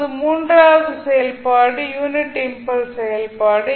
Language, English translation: Tamil, Now, the third function is unit impulse function